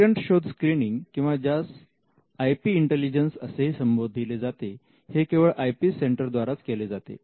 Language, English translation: Marathi, Patent search screening or what we can even call as IP intelligence is something which can only be done by an IP centre